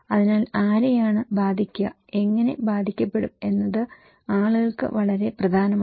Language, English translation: Malayalam, So, who will be impacted, how will be impacted is very important for people